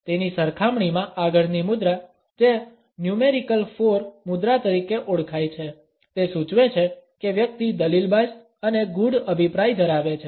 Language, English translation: Gujarati, In comparison to that the next posture which is known as a numerical 4 posture suggests that the person is argumentative and opinionated